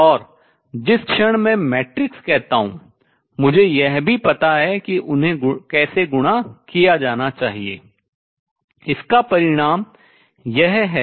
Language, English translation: Hindi, So, all quantities I going to be represented by matrices and the moment I say matrices I also know how they should be multiplied consequence of this is that